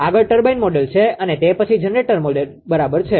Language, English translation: Gujarati, Next is the turbine model and after the generator model right